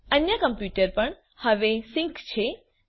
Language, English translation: Gujarati, The other computer is also sync now